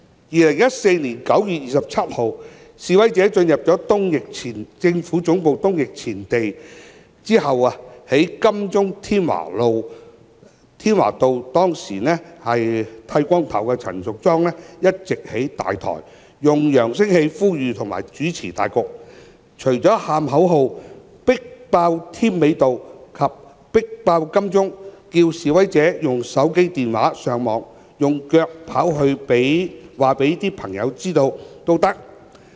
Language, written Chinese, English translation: Cantonese, 2014年9月27日，示威者進入政府總部東翼前地後，當時在金鐘添華道剃光頭髮的陳淑莊議員一直在"大台"上，用揚聲器呼籲及主持大局，除了叫喊口號"迫爆添美道"及"迫爆金鐘"外，並着示威者"用手機、電話、上網，用腳跑去告訴朋友知道也可"。, On 27 September 2014 after the protesters entered the East Wing Forecourt of the Central Government Offices Ms Tanya CHAN with her hair shaved was standing on the stage at Tim Wa Avenue calling upon people with a loudspeaker and playing a leading role . In addition to chanting the slogans of over - cram Tim Mei Avenue and over - cram Admiralty she also asked protesters to tell their friends about the movement with mobile phones telephones online and with their feet